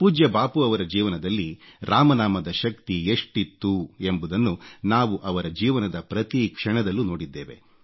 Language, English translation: Kannada, We have seen how closely the power of 'Ram Naam', the chant of Lord Ram's name, permeated every moment of revered Bapu's life